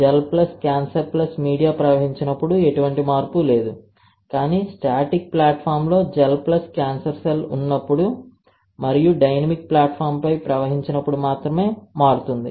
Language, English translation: Telugu, Gel plus cancer plus media flowed no change, but only when there is a gel plus cancer cell on static platform and when you flow on the dynamic platform then you have changed